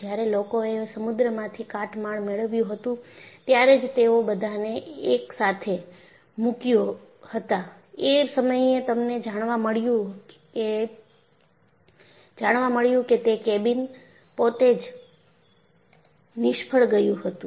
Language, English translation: Gujarati, Only when they recovered the debri from the sea, when they put all of them together, they found that cabin itself had failed